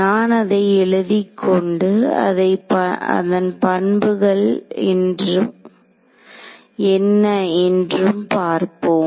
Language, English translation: Tamil, So, I will write it out and then we will see what its properties are